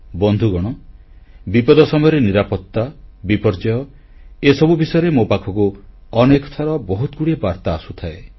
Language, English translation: Odia, Friends, safety in the times of crises, disasters are topics on which many messages keep coming in people keep writing to me